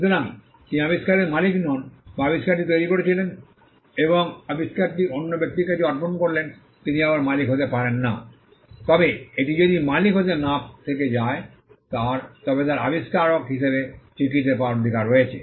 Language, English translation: Bengali, So, he is not the owner of the invention or he created the invention and assigned the invention to another person again he ceases to be the owner, but even if it ceases to be the owner, he has the right to be recognized as the inventor